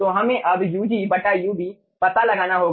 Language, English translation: Hindi, so we will be finding out ug by ub